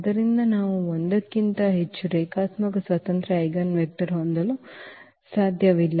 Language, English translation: Kannada, So, we cannot have more than 1 linearly independent eigenvector